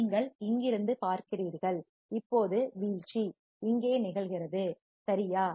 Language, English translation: Tamil, You see from here, now the fall off is occurring right